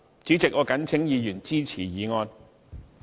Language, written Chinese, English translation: Cantonese, 主席，我謹請議員支持議案。, President I call upon Members to support this motion